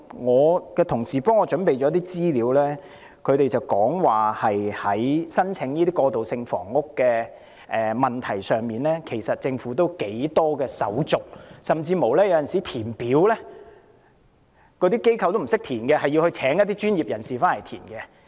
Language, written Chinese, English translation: Cantonese, 我的同事給我準備了一些資料，指出在申請過渡性房屋方面，政府的申請手續頗繁複，甚至機構有時候也不懂得填寫，須聘請一些專業人士協助。, My colleagues have prepared some information for me . It shows that the Governments application procedures for handling translational housing are rather complicated and tedious . At times even these organizations do not know how to fill the forms and have to hire professionals to help them